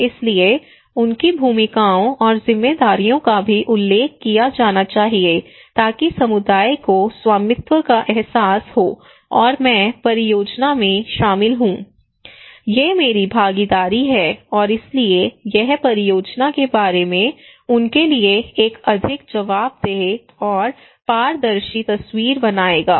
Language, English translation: Hindi, So their roles and responsibilities should be also mentioned so that community feel kind of ownership and okay I am in the project these are my involvement and so it will create a more accountable and transparent picture to them about the project